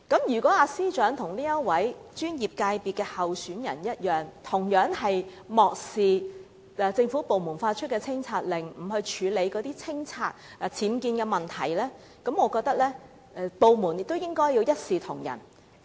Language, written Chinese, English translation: Cantonese, 如果司長與該候選人一樣，同樣漠視政府部門發出的清拆令，不肯清拆僭建部分，我認為部門應該一視同仁。, If the Secretary for Justice likewise ignores the removal order issued by the government department and refuses to demolish her UBWs the department should tackle the issue in an impartial manner